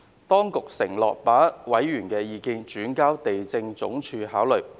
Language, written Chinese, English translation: Cantonese, 當局承諾把委員的意見轉交地政總署考慮。, The Administration has undertaken to relay members views to the Lands Department for consideration